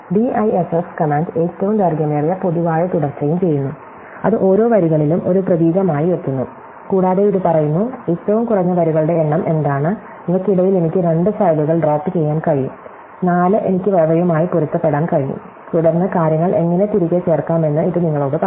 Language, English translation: Malayalam, So, the DIFF command also does longest common subsequence, it treats each line as a character and it says, what is the minimum number of lines, I can drop between these two files, 4 I can match them, and then it tells you how to insert things back